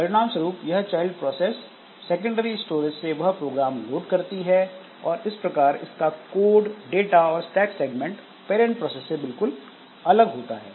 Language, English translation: Hindi, So, as a result, this child process loads the corresponding program from the secondary storage and that way its code data and stack segments are totally different compared to the parent process